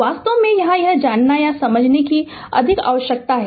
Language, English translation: Hindi, ah You have to actually here know understanding is more required